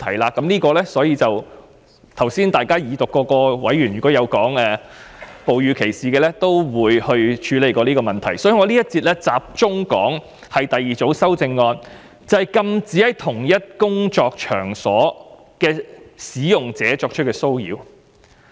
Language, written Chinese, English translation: Cantonese, 委員剛才在二讀辯論就哺乳歧視提出問題時，亦曾討論應如何處理，故此我在這一節會集中談論第二組修正案，即禁止對在共同工作場所的使用者作出騷擾。, When Members raised the issue of breastfeeding discrimination during the Second Reading debate some time ago they had already discussed how the problem should be tackled . Hence I will focus on discussing the second group of amendments on prohibiting harassment against participants of the same workplace